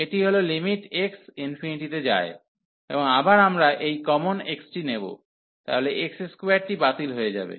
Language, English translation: Bengali, So, this is limit x goes to infinity, and again we will take this common x, so x square we will get cancel